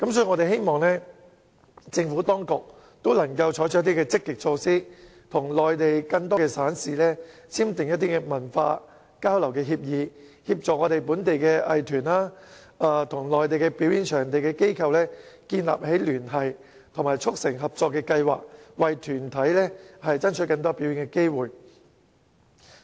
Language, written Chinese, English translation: Cantonese, 我們希望政府當局能採取積極措施，與內地更多省市簽訂文化交流的協議，協助本地藝團與內地表演場地的機構建立聯繫及促成合作計劃，為團體爭取更多表演機會。, We hope that the Administration can adopt proactive measures to strive for more performing opportunities for local groups by entering into cultural exchange agreements with more provinces and cities on the Mainland and by facilitating local arts groups to build up relationship and have collaboration plans with the Mainland institutions in charge of performance venues